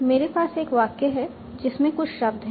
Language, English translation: Hindi, So I have a sentence that contains some words